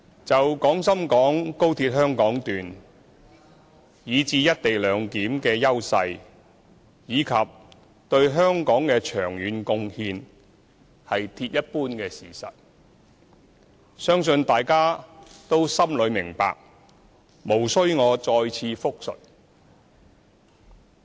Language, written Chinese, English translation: Cantonese, 就廣深港高鐵，以至"一地兩檢"的優勢，以及對香港的長遠貢獻，是鐵一般的事實，相信大家心裏都明白，無須我再次複述。, I trust it is clear to all Members the hard fact that the Hong Kong Section of the Guangzhou - Shenzhen - Hong Kong Express Rail Link and the co - location arrangement will bring advantages and long - term contributions to Hong Kong . There is no need for me to repeat here